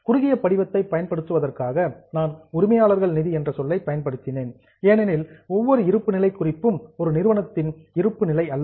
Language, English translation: Tamil, While for using the short form I had used the term owners fund because every balance sheet is not a balance sheet of a company